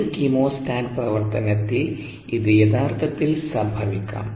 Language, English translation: Malayalam, it can actually happen in the case of a chemostat operation